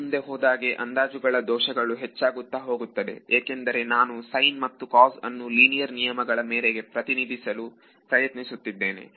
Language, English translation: Kannada, As I go further away the approximations the error of the approximations will begin to grow because I am finally, trying to represent a sin and cos by linear terms right